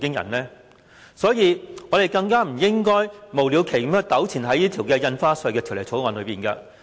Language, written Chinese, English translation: Cantonese, 有見及此，我們更加不應該無了期糾纏於《條例草案》。, In view of this we particularly should not get entangled in the Bill indefinitely